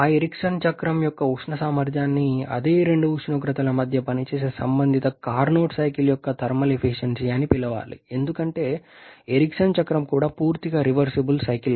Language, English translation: Telugu, The thermal efficiency for that Ericsson cycle should be called the thermal efficiency of the corresponding Carnot cycle working between the same to temperatures because Ericsson cycle is also an total reversible cycle